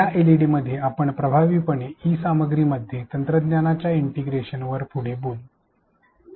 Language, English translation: Marathi, In this LED we will talk further on the integration of technology in e content in an effective manner